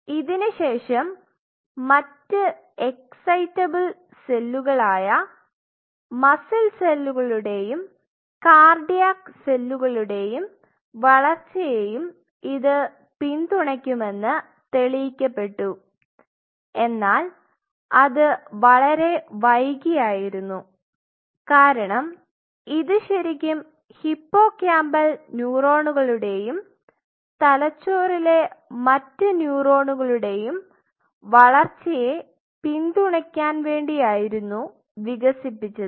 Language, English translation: Malayalam, Of course, later it has been proved that it also supports the growth of other excitable cells like muscle cells as well as cardiac cells and that was much later it was proved, but initially it was developed to support the growth of especially the hippocampal neuron and other brain neurons